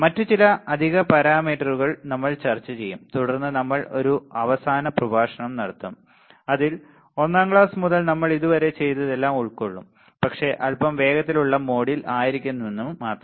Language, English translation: Malayalam, Few other additional parameters we will discuss and then we will have a last lecture, which will our recall lecture which will consist of whatever we have done from class one till now, but in a little bit faster mode